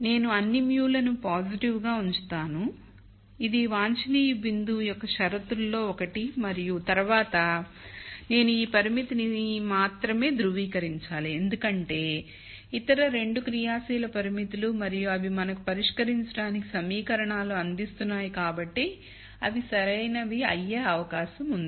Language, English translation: Telugu, I get all mus to be positive which is also one of the conditions for an optimum point and then I have to only verify this constraint here because other 2 are active constraints and they are providing equations for us to solve so they are like they are going to be valid